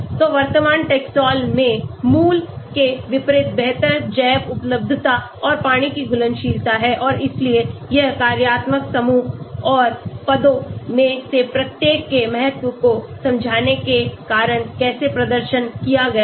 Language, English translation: Hindi, So, the current Taxol has better bio availability and water solubility unlike the original and so how this was performed because of the understanding and the importance of each one of the functional groups and the positions